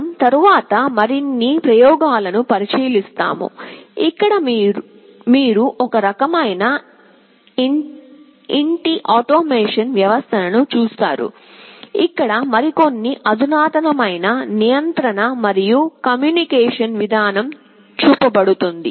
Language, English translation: Telugu, We would look at more experiments later on, where you will see some kind of home automation system, where some more sophisticated kind of control and communication mechanism will be shown